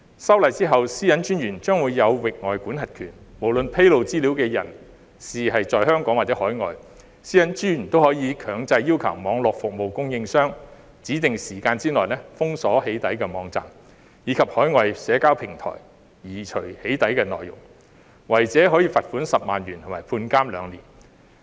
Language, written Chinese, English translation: Cantonese, 修例後，私隱專員將有域外管轄權；無論披露資料的人在香港或海外，私隱專員都可以強制要求網絡服務供應商在指定時間內封鎖"起底"網站，以及海外社交平台移除"起底"內容，違者可處以罰款10萬元和監禁兩年。, After the legislative amendment the Commissioner will have the power to exercise extraterritorial jurisdiction . Regardless of whether the data discloser is in Hong Kong or overseas the Commissioner can mandate Internet service providers to block access to overseas websites with doxxing content as well as overseas social media platforms to remove doxxing content within a designated time frame . Offenders may be liable to a fine of 100,000 and imprisonment for two years